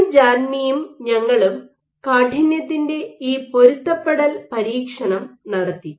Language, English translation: Malayalam, So, Paul Janmey we did this experiment of stiffness adaptation